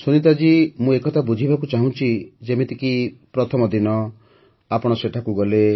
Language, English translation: Odia, Sunita ji, I want to understand that right since you went there on the first day